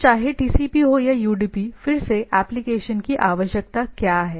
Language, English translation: Hindi, So, whether TCP or UDP, again, what is the requirement of the application